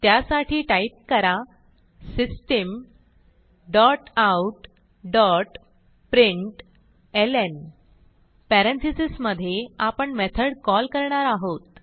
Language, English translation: Marathi, So type System dot out dot println() Within parenthesis we will call the method